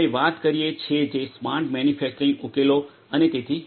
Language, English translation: Gujarati, We talk which talks about the smart manufacturing solutions and so on